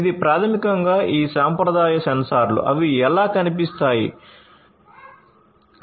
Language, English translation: Telugu, This is basically these traditional sensors, how they look like